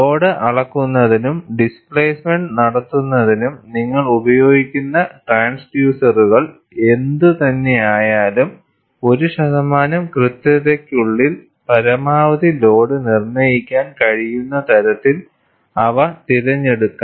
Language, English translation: Malayalam, And, whatever the transducers that you use for measurement of load, as well as the displacement, they are to be selected such that, maximum load can be determined within 1 percent accuracy